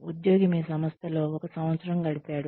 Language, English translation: Telugu, The employee has, spent one year in your organization